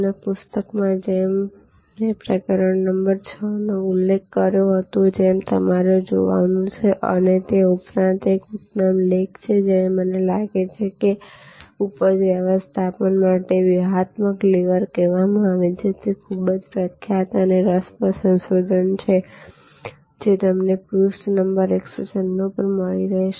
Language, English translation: Gujarati, And in the book as I have mentioned chapter number 6 is what you have to look at and in addition to that there is an excellent article I think it is called a strategic livers for yield management and that paper it is a very famous very interesting research paper and I think is it is available page number 196 page 196